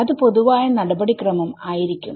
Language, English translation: Malayalam, So, that is going to be a general procedure